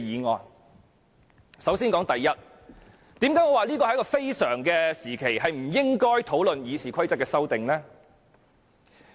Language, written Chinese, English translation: Cantonese, 為何我會說不應在此非常時期討論對《議事規則》的修訂？, Why did I say that we should not discuss the amendments to RoP under the current exceptional circumstances?